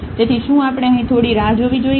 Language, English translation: Gujarati, So, do we need to wait a little bit here